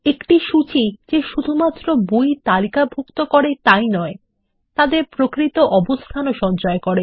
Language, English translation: Bengali, A catalogue not only lists the books, but also stores their physical location